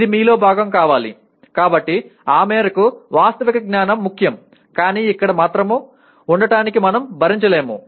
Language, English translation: Telugu, It has to be part of your, so to that extent factual knowledge is important but we cannot afford to remain only there